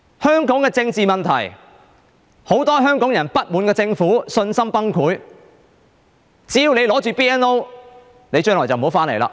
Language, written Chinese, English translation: Cantonese, 香港的政治問題，很多香港人不滿政府，信心崩潰，只要你持有 BNO， 你將來就不要回來。, As for the political problems in Hong Kong many people are dissatisfied with the Government and their confidence has been completely blown away . If you hold a BNO passport you had better leave and do not come back